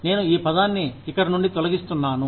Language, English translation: Telugu, I will remove this word, from here